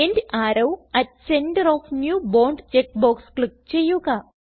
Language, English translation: Malayalam, Click on End arrow at center of new bond check box